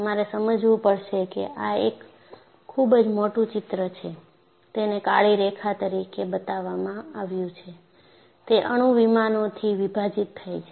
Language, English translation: Gujarati, So you will have to understand, that this is a very highly magnified picture, and what is shown as a black line here is, splitting apart of atomic planes